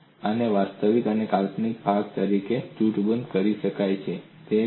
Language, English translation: Gujarati, And these could be grouped as real and imaginary part